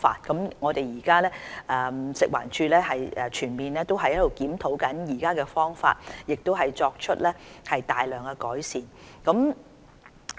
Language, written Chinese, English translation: Cantonese, 食物環境衞生署正全面檢討現有的方法，亦作出大量改善。, The Food and Environmental Hygiene Department FEHD is now carrying out a full review of existing measures and will make considerable improvement